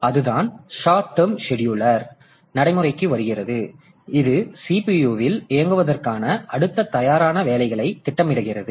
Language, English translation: Tamil, The short term scheduler comes into existence and it schedules the next ready job to be to run in the CPU